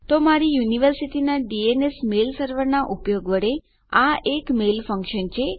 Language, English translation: Gujarati, So thats a mail function by using my universitys DNS mail server